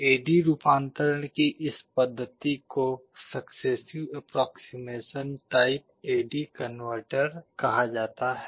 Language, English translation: Hindi, This method of A/D conversion is called successive approximation type A/D converter